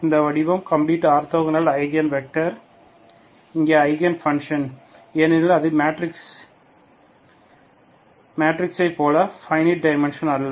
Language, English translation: Tamil, That form complete orthogonal Eigen vectors, okay, Eigen functions here because it is, it is not simply finite dimension as in the case of matrices